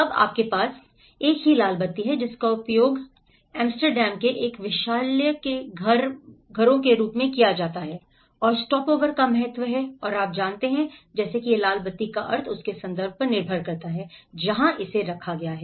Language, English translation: Hindi, Now, you have the same red light is used in as a kind of in a brothel houses in Amsterdam and is the significance of the stopover and you know, like that it depends the meaning of this red light depends on its context where it is placed